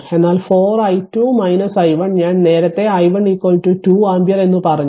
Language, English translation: Malayalam, So, 4 into i 2 minus i 1 and I told you earlier i 1 is equal to 2 ampere